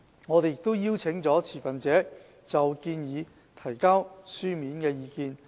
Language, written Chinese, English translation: Cantonese, 我們也邀請了持份者就建議提交書面意見。, We have also invited the stakeholders for written submission of views